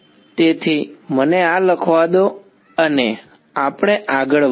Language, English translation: Gujarati, So, let me write this down same we go ahead